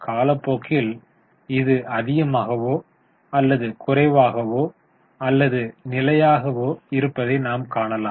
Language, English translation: Tamil, Over the period of time, you will find it is more or less constant